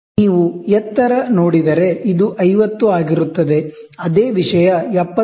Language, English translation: Kannada, So, the height if you see, this will be 50, the same thing will be 70